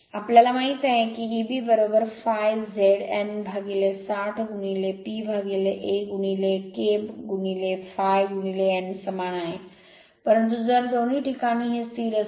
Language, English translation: Marathi, That we know this E b is equal phi Z N by 60 into P by a is equal to K into phi into n, but if is constant for both cases